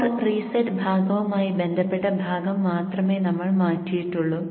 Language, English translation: Malayalam, We have changed only the portion corresponding to core reset part